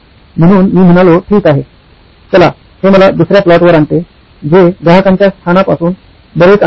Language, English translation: Marathi, So I said okay, let’s, that brings me to the second plot which is the distance from the customer location